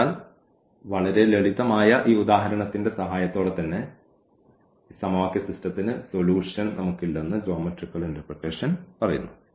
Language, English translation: Malayalam, So, with the help of this very simple example the geometrical interpretation itself says that we do not have a solution of this system of equations